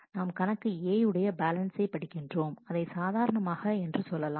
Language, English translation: Tamil, We are reading the account balance A, let us arbitrarily we are calling it A